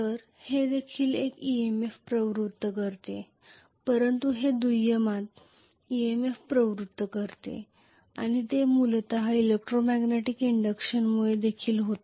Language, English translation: Marathi, So this is also inducing an EMF but this is inducing an EMF in secondary and that is also essentially due to the electromagnetic induction